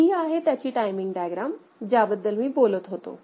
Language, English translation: Marathi, So, this is the timing diagram, I am talking about